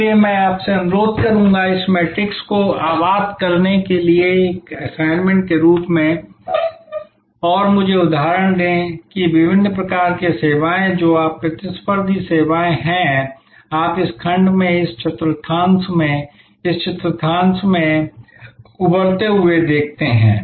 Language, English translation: Hindi, So, I would request you to as an assignment to populate this matrix and give me examples that how different types of services that you are competitive services, you see emerging in this segment, in this quadrant, in this quadrant and in this quadrant